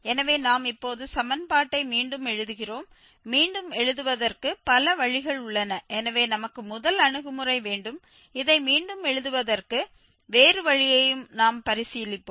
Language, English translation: Tamil, So, we rewrite the equation now so, there are several ways of rewriting so the first approach we have we will consider other way also for rewriting this one